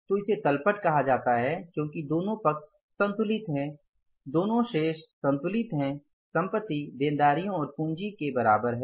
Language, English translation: Hindi, So, this is called as the balance sheet because both the sides are balanced, say balances are balanced, assets are equal to the liabilities plus capital